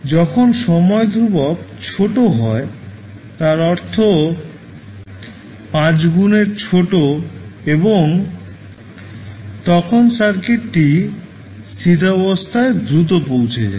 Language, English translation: Bengali, When time constant is small, means 5 into time constant would be small in that case, and the circuit will reach to steady state value quickly